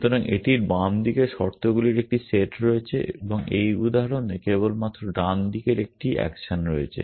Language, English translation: Bengali, So, it has a set of conditions on the left hand side and in this example only one action on the right hand side essentially